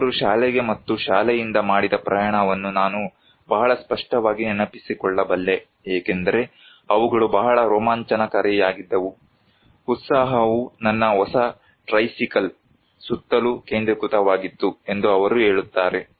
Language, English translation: Kannada, He is saying that I can remember very clearly the journeys I made to and from the school because they were so tremendously exciting, the excitement centred around my new tricycle